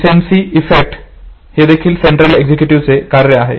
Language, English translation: Marathi, Recency effect is also a function of the central executive